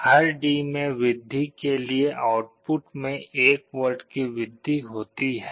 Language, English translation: Hindi, In this case for every increase in D, there is a 1 volt increase in the output